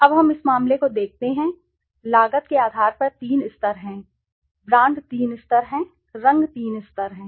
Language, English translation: Hindi, Now let us see this case, on the basis of cost there are three levels, brand there are three levels, color there are three levels